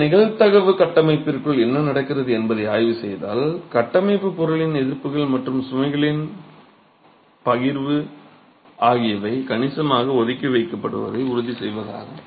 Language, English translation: Tamil, So, if you were to examine what's happening within this probabilistic framework, the idea is to ensure that the resistances of the structural material and the distribution of the loads are significantly kept apart